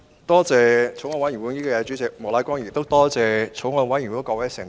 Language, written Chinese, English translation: Cantonese, 多謝法案委員會主席莫乃光議員，亦感謝法案委員會的各位成員。, I would like to thank the Chairman of the Bills Committee Mr Charles Peter MOK and all members of the Bills Committee